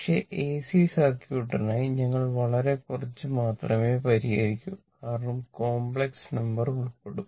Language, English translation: Malayalam, But, for AC circuit ah, we will solve very little because, complex number will be involved, right